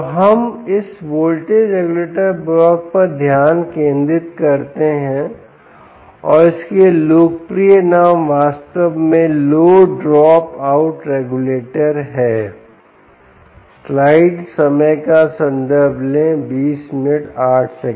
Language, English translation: Hindi, ok, so let us concentrate on this voltage regulator block, and the popular name for that, indeed, is the low drop out regulator